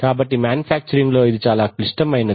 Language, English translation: Telugu, So it is very critical for manufacturing